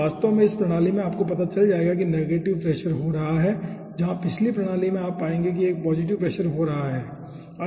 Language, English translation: Hindi, so actually, in this system you will be finding out negative pressure is occurring where, as the previous system, you will be finding out a positive pressure is occurring